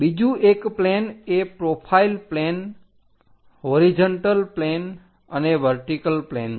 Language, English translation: Gujarati, The other one is called profile plane, horizontal plane, vertical plane